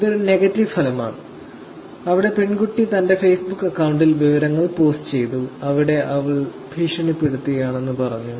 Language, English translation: Malayalam, So, this is more like a negative thing, where the girl posted information on her Facebook account, where she was saying about, she is being bullied